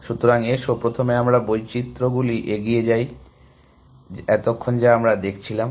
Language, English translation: Bengali, So, let us first continue with our variations that we were looking at